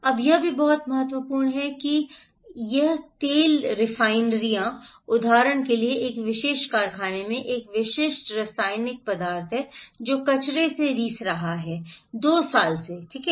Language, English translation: Hindi, Now, also it is very important that this one, this oil refineries, for example, a particular, the factory there is a specific chemical substance has been leaking from the waste, repository for two years okay